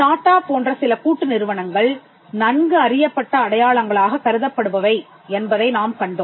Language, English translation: Tamil, We have seen that some conglomerates like, TATA are regarded as well known marks